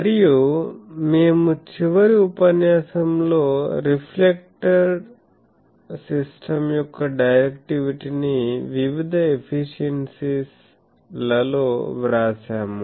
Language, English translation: Telugu, And we have written in the last class the directivity of the reflector system into various efficiencies